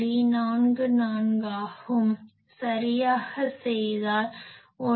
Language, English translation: Tamil, 44 the actual value is if you do it will be 1